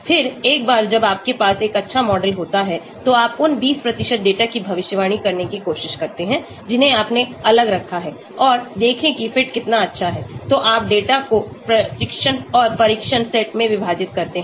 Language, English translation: Hindi, Then, once you have a good model you try to predict for those 20% data which you have kept aside and see how good the fit is that is why you divide the data into training and test set